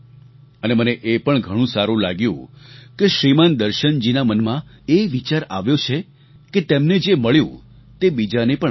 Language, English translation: Gujarati, I felt good to see Shriman Darshan ji think about sharing with others what he gained from it